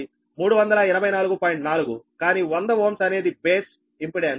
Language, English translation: Telugu, but to hundred ohm is the base impedance